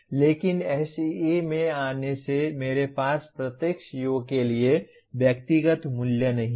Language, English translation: Hindi, But coming to SEE, I do not have individual values for each CO